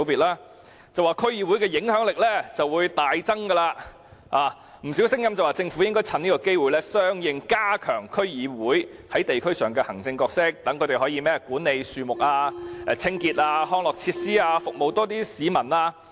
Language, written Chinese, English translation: Cantonese, 當局指此安排會令區議會的影響力大增，有不少聲音表示政府應趁此機會相應地加強區議會在地區上的行政角色，讓他們可以管理樹木、清潔、康樂設施等，服務較多市民。, There are also quite many voices suggesting that the Government should take this opportunity to enhance the administrative role of DCs at the district level in respect of tree management cleaning services recreational facilities and so on in order to serve a larger number of people